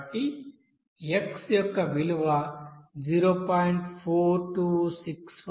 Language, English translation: Telugu, Now this x2 value of 0